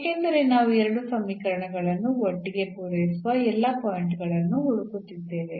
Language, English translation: Kannada, So, out of these 2 equations we need to get all the points which satisfy these 2 equations